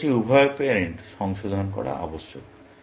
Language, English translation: Bengali, I must revise both the parents